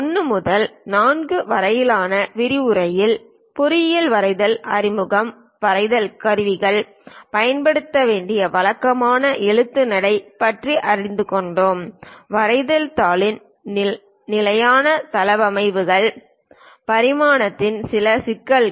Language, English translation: Tamil, In lecture 1 to 4, we have learned about engineering drawing introduction, drawing instruments, the typical lettering style to be used; standard layouts of drawing sheet, few issues on dimensioning